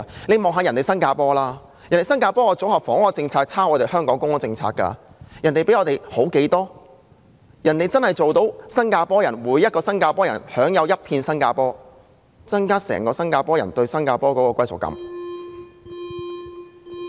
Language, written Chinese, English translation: Cantonese, 試看新加坡，當地的組合房屋政策其實是抄襲香港的公屋政策，但卻青出於藍，真正做到每位新加坡人均享有一片新加坡的土地，增進新加坡人對國家的歸屬感。, Take a look at Singapore the housing policy in Singapore has been copied from the public housing policy of Hong Kong but the former has outperformed the latter really achieving the possession of a piece of land in Singapore for every Singaporean to increase the sense of belonging among the Singaporean towards their country